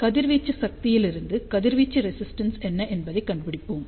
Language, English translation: Tamil, And from the power radiated, we find out what is the radiation resistance